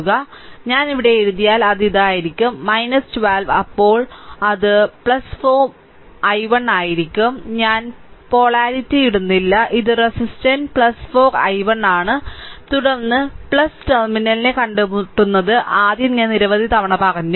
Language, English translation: Malayalam, So, it will be if I write here it will be minus 12 right then it will be plus 4 i 1 right I am not putting polarities this is the thing resistor plus 4 i 1, then encountering plus terminal first I told you several time right